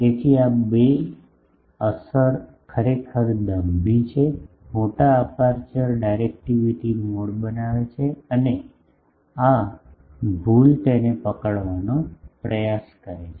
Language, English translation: Gujarati, So, these 2 effect actually counter poses, the larger aperture makes the directivity mode and this error tries to minimize that